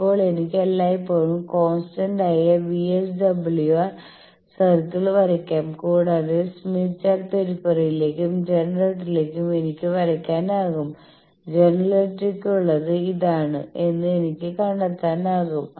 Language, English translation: Malayalam, Now, I can always draw the constant VSWR circle and then towards generator in the smith chart periphery, I can find that towards generator is this